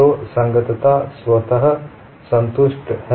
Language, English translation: Hindi, So, compatibility is automatically satisfied